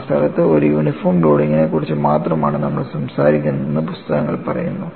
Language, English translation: Malayalam, The books say we are only talking about a uniform loading at that place